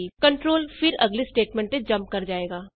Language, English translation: Punjabi, The control then jumps to the next statement